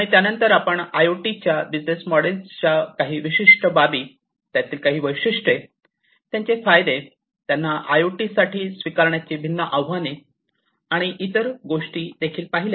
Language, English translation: Marathi, And then thereafter, we also went through some of the specific aspects of business models for IoT, the features of it, the advantages, the different challenges in adopting them for IoT and so on